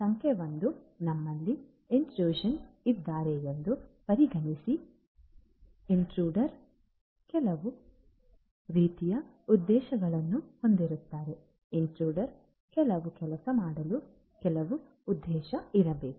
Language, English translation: Kannada, Number one consider that we have an intruder, so for an intruder the intruder will have some kind of motive, some motive must be there for the intruder to do certain thing